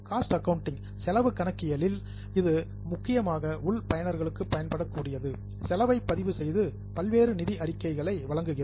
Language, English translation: Tamil, In cost accounting, it is mainly for internal users, we record costs and provide various financial statements